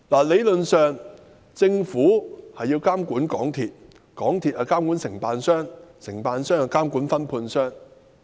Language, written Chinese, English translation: Cantonese, 理論上，政府要監管港鐵公司，港鐵公司要監管承辦商，承辦商要監管分判商。, Theoretically speaking the Government has to monitor MTRCL MTRCL has to monitor its contractors while the contractors have to monitor their sub - contractors